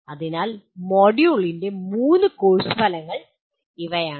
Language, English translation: Malayalam, So these are the three course outcomes of the module 1